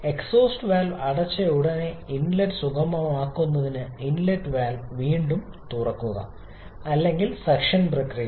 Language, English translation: Malayalam, As soon as the exhaust valve closes the inlet valve open again to facilitate the inlet or suction process